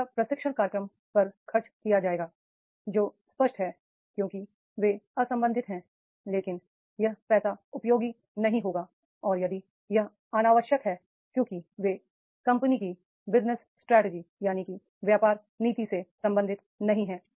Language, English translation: Hindi, That are unnecessary because they are unrelated but that money will not be the useful and if it is the unnecessary because they are unrelated to the company's business strategy